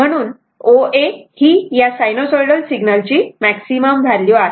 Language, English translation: Marathi, So, O A is the maximum value of your what you call of a sinusoidal quantities